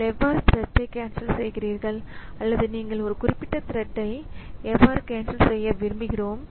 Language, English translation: Tamil, Then how do you cancel a thread or if you target one particular thread we want to cancel